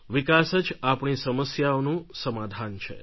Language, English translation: Gujarati, Development is the key to our problems